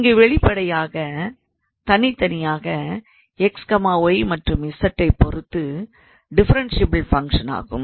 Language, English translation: Tamil, So here obviously, this is a differentiable function at least with respect to x y and z individually